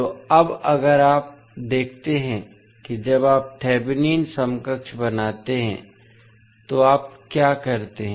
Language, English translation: Hindi, So now, if you see when you create the thevenin equivalent what you do